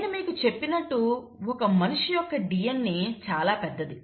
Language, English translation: Telugu, Now, the human DNA as I told you is really big